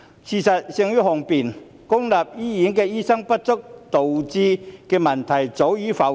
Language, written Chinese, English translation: Cantonese, 事實勝於雄辯，公立醫院醫生不足導致的問題，早已浮現。, The problems caused by the shortage of doctors in the public healthcare system have emerged for a long time